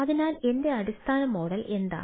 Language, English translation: Malayalam, what is my basically business model